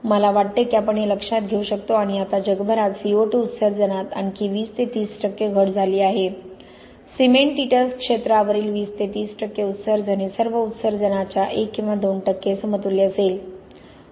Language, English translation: Marathi, I think we can realize and now the at least probably another 20 to 30 percent reduction in CO2 emissions worldwide, 20 to 30 percent emissions on cementitous sector would be equivalent to 1 or 2 percent of all the emissions that, of everything (())